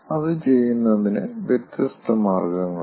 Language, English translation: Malayalam, there are different ways of doing it